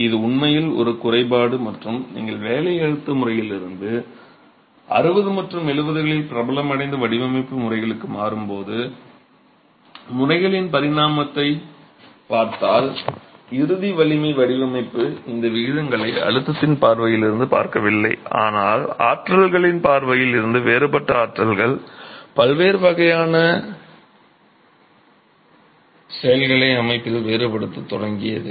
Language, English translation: Tamil, This is actually a drawback and if you see the evolution of methods as you move from the working stress method to the strength design methods which gained popularity in the 60s and 70s, the ultimate strength design started looking at these ratios not from the stresses point of view but from the forces point of view and started differentiating between the different forces, different types of actions on the system itself